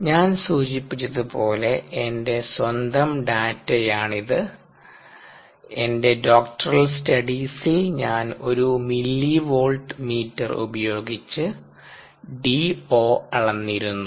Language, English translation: Malayalam, this happens to be my own data, my doctoral studies and i had used to a millivolt meter to measure